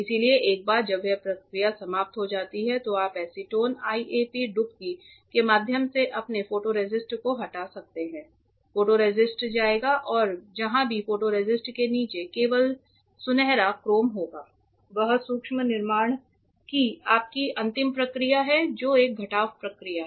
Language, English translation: Hindi, So, once that process is over you can remove your photoresist through like a acetone dip acetone IAP dip the photoresist will go and wherever below that photoresist only the golden chrome will remain that is your last process of micro fabrication, which is a subtractive process